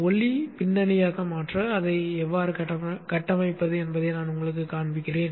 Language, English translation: Tamil, I will show you how to configure it to make it into a light background one